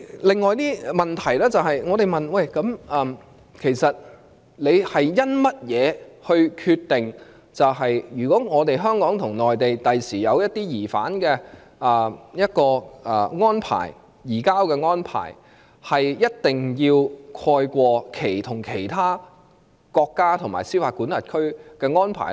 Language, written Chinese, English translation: Cantonese, 另一問題是，我們問當局究竟是憑甚麼來決定，如果將來香港與內地訂下一些移交疑犯的安排，這種安排必定要蓋過與其他國家及司法管轄區訂下的安排呢？, Another question we have asked the Administration was about the basis on which the Government decided that the surrender arrangement of fugitives to be concluded between Hong Kong and the Mainland should supersede other arrangements made between Hong Kong and other countries or jurisdictions